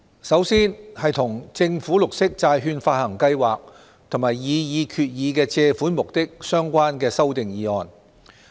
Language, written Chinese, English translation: Cantonese, 首先是與政府綠色債券發行計劃及擬議決議案的借款目的相關的修訂議案。, First of all let us look at the amending motions relating to the Government Green Bond Programme and the purposes of borrowings under the proposed resolution